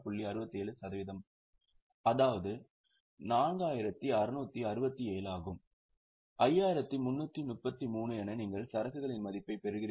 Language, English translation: Tamil, 67%, that is 4667, you get the value of inventory as 5333